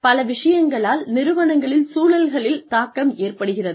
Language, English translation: Tamil, The organizations are influenced, by a lot of things, in their environments